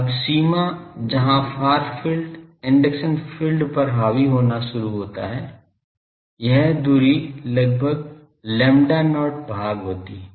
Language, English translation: Hindi, Now, the boundary where induction far field start dominating the induction field is roughly at a distance of lambda not by 6